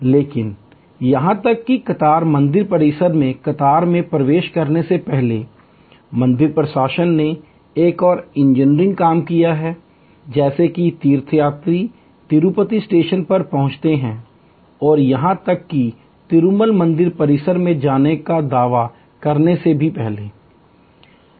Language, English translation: Hindi, But, even the queue, before the queue enters the temple premises, the temple administration have done another engineers thing, that as soon as the pilgrims arrive at the Tirupati station and even before the claimed again to go to the Tirumal temple complex